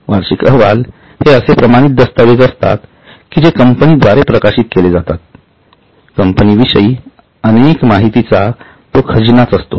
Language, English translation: Marathi, Now, this is an authenticated document which is published by the company and it's a treasure of lot of data about companies